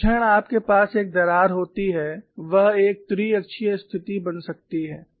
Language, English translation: Hindi, The moment you have a crack it can become a triaxial situation